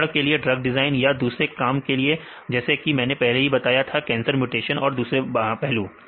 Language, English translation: Hindi, For example, for the drug design or different work; like I mentioned earlier like the cancer mutation and different things aspects